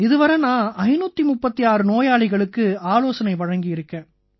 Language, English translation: Tamil, So far I have seen 536 patients